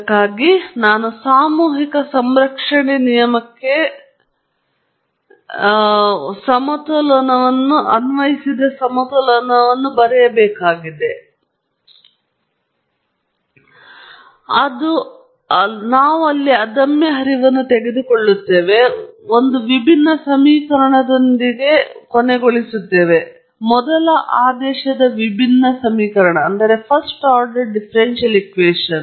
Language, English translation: Kannada, Now, for this we will have to write the material balance, that has apply the mass balance for the law of conservation of mass, and we assume incompressible flow, and we end up with a differential equation first order differential equation – unfortunately, non linear in nature